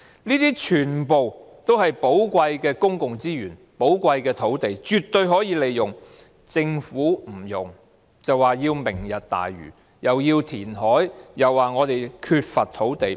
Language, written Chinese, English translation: Cantonese, 這些全部都是寶貴的公共資源和土地，絕對可以利用，但政府不用，卻說要搞"明日大嶼"，既要填海，又說我們缺乏土地。, All these are valuable public resources and land that can absoultely be put to use . But the Government refuses to put them to use but proposes this Lantau Tomorrow which requires reclamation saying that we are short of land